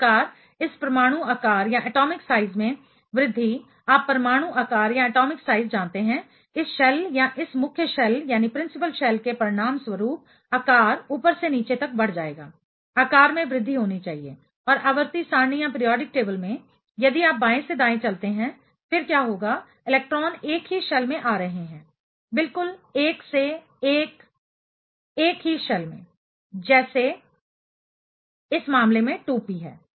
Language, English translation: Hindi, Thus, increase in this atomics you know atomics this shell or this principal shell will result in increasing size from top to bottom sizes should increase and in a in the periodic table, if you walk from left to right; then, what will happen electrons are getting into the same shell 1 by 1 exactly in the same shell let us say in this case 2p